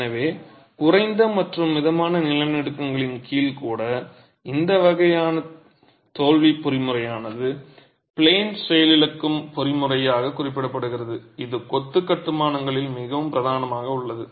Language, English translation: Tamil, So even under low to moderate earthquakes this sort of a failure mechanism which is referred to as an out of plane failure mechanism is extremely predominant in masonry constructions